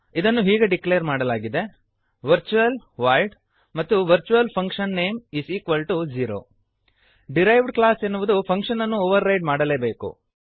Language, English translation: Kannada, It is declared as: virtual void virtualfunname()=0 A derived class must override the function